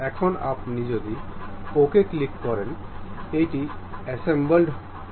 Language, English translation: Bengali, Now, if you click ok, it will be assembled